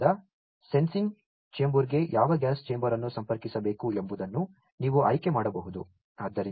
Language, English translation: Kannada, So, you can select that which gas chamber will be connected to the sensing chamber